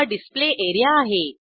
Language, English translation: Marathi, This is the Display area